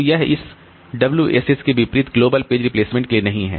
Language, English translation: Hindi, So, this is not for the global page replacement